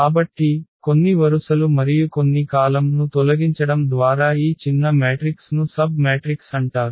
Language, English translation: Telugu, So, whatever this smaller matrix by removing some rows and some columns, that is called the submatrix